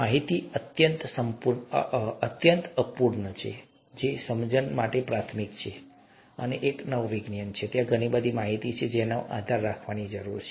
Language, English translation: Gujarati, Information is highly incomplete, understanding is rudimentary, and since it is a new science, there’s a lot of information that one needs to rely on